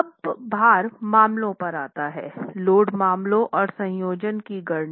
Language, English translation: Hindi, So, let me come to the load cases, calculations of the load cases and the combinations thereof